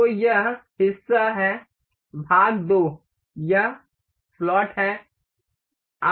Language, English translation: Hindi, So, the part this is part 2, this is slot